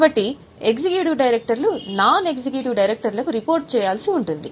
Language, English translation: Telugu, So, executive directors are supposed to report to non executive directors